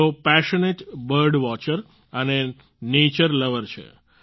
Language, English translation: Gujarati, He is a passionate bird watcher and a nature lover